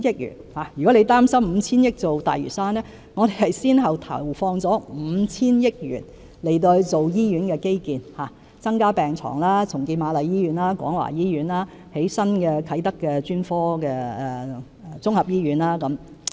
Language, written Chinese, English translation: Cantonese, 如果范議員擔心以 5,000 億元發展大嶼山，其實我們先後投放了 5,000 億元在醫院基建，包括增加病床、重建瑪麗醫院和廣華醫院、在啟德興建新的專科綜合醫院等。, If Mr FAN is concerned about investing 500 billion on the development of Lantau Island he should know that we have in fact invested 500 billion in hospital infrastructure including the addition of beds redevelopment of the Queen Mary Hospital and the Kwong Wah Hospital and the construction of a specialty general hospital at Kai Tak